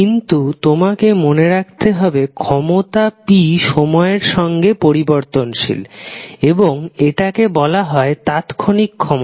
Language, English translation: Bengali, But you have to keep in mind this power p is a time varying quantity and is called a instantaneous power